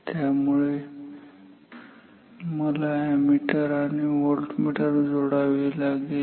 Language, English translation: Marathi, So, I have to connect an ammeter and a voltmeter